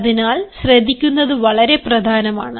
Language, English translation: Malayalam, hence listening is very important